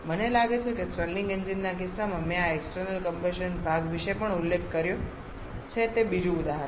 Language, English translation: Gujarati, It is another example I think in case of Stirling engine I have mentioned about this external combustion part also